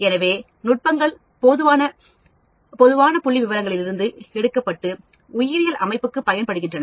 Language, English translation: Tamil, So, the techniques are taken from the general statistics, but applied to biological system